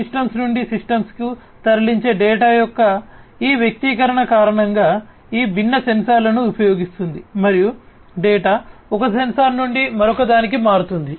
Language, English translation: Telugu, Because of this expression of data moving to systems from systems would be using these different sensors and the data will be moving from one sensor to another